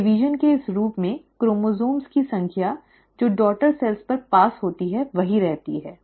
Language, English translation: Hindi, In this form of cell division, the number of chromosomes which are passed on to the daughter cells remain the same